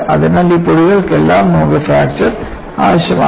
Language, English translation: Malayalam, So, for all these powders,you need efficient fracture